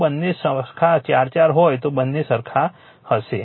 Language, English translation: Gujarati, If you take both are same 4 4 then both will be same right